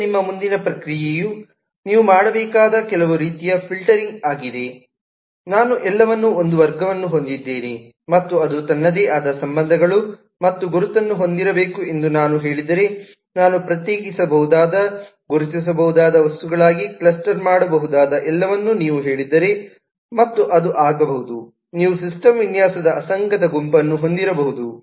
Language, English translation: Kannada, now your next process is some kind of a filtering that you need to do is if you say that everything that i could cluster into segregable, identifiable items, if i say that everyone of them has a class and it should have its own relationships and identification and all that it might become, you might have too much of incoherent set of system design